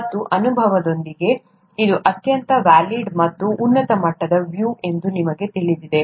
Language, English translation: Kannada, And with experience, you know that it is a very valid and a very high level kind of a view